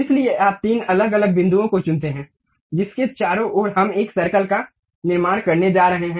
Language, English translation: Hindi, So, you pick three different points around which we are going to construct a circle